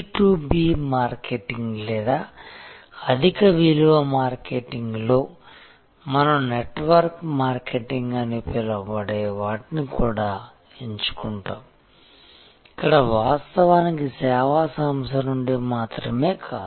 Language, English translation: Telugu, In B2B marketing or high value marketing, we also pickup something called network marketing, where actually we have not only the directly from the service organization